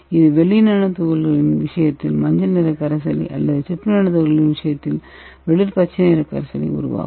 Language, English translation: Tamil, So this will result in yellow color in case of silver nanoparticles and it will appear light green in the case of copper nanoparticles